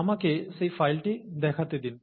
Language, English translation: Bengali, Let me show you that file